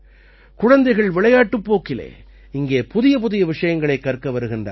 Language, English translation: Tamil, Small children come here to learn new things while playing